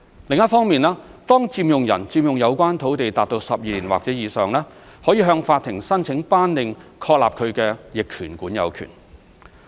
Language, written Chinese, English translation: Cantonese, 另一方面，當佔用人佔用有關土地達12年或以上，可以向法庭申請頒令確立他的逆權管有權。, On the other hand when an occupier has occupied the land for 12 years or more he or she may apply to the court for an order declaring that he or she has acquired adverse possession of the land